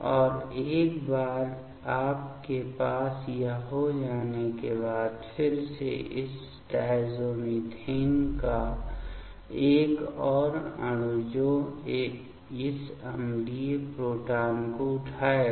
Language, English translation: Hindi, And once you have this then again one more molecule of this diazomethane that will pick up this acidic proton ok